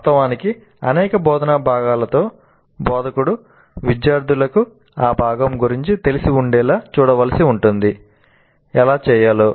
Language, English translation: Telugu, In fact with many of the instructional components the instructor may have to ensure that the students are familiar with that component